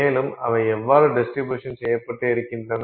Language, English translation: Tamil, And how is they distributed